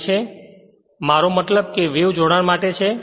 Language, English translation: Gujarati, So, I mean it is for wave connection